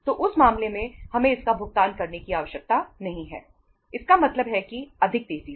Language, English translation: Hindi, So in that case, we not need to pay it means uh more quickly